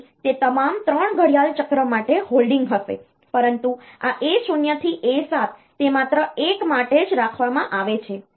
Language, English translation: Gujarati, So, that will be holding for all the 3 clock cycles, but this A 0 to A 7 they are held for only one clock period